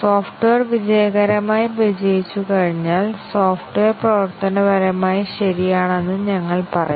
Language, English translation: Malayalam, And once the functionality test does the software successfully passes then we say that the software is functionally correct